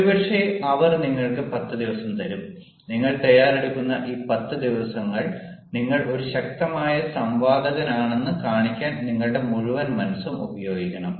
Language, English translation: Malayalam, maybe they give you ten days and these ten days you are preparing ah, you are using all your might to show that you are a powerful debater